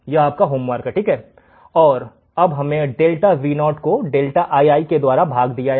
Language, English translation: Hindi, Is your homework, and now we have written delta Vo by delta Ii right